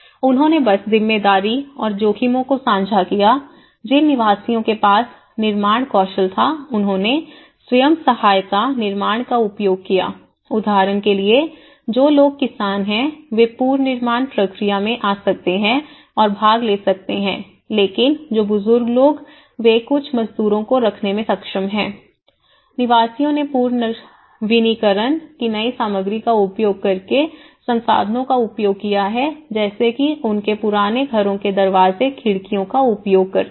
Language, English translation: Hindi, They just shared responsibility and risks, residents that had construction skills used self help construction, for example, people who are farmers, they could able to come and participate in the reconstruction process but there is the elderly people they are able to hire some labourers, residents optimized the use of resources by using the recycled material like from their old houses they use the doors, windows